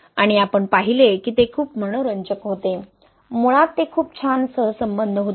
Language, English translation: Marathi, And we saw that it was very interesting to that, it was a very nice correlation basically